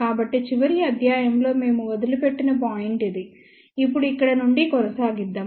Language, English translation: Telugu, So, this is the point where we left in the last lecture let us continue from here now